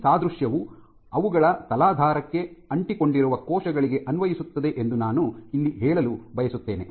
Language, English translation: Kannada, So, I would like to state here once that this analogy applies to adherent cells that are which stay put which adhere to their substrate